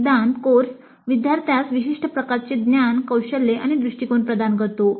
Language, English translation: Marathi, The theory course gives certain kind of knowledge, skills and attitudes to the student